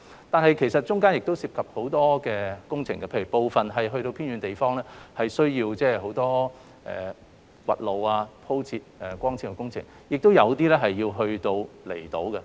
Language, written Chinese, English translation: Cantonese, 但是，其實中間亦涉及很多工程，例如在偏遠的地方，需要進行很多挖地、鋪設光纖的工程，亦有一些工程要在離島進行。, However many kinds of works are actually involved . For instance in some remote areas the works like digging up the roads to lay the fibre - based cables are warranted and some works also need to be conducted on outlying islands